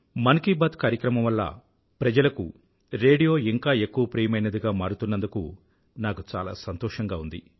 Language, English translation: Telugu, I am overjoyed on account of the fact that through 'Mann Ki Baat', radio is rising as a popular medium, more than ever before